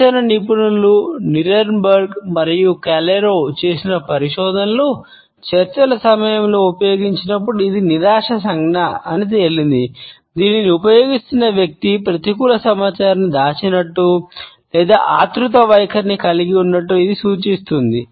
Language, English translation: Telugu, Research by Negotiation Experts Nierenberg and Calero has showed that it is also a frustration gesture when used during a negotiation, it signals that a person who is using it is holding back either a negative information or possesses and anxious attitude